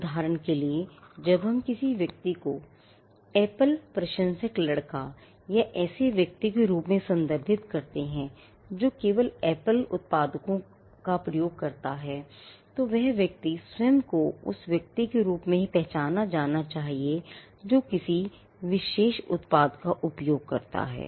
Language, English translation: Hindi, For instance, when we refer to a person as an Apple fan boy or a person who uses only Apple products then, the person wants himself to be identified as a person who uses a particular product